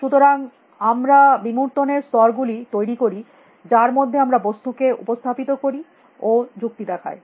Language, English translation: Bengali, So, we create levels of abstraction at which we represent things and reason at those levels of abstractions